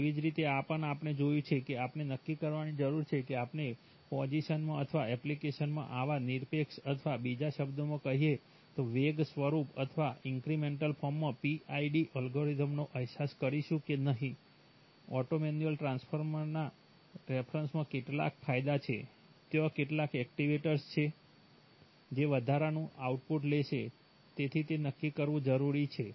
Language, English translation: Gujarati, Similarly, this also we have seen that, we need to decide whether we are going to realize the PID algorithm in the position or in the app or absolute or in other words or the velocity form or incremental form, there are certain advantages with respect to auto manual transfer, there are certain actuators which will take incremental output, so that needs to be decided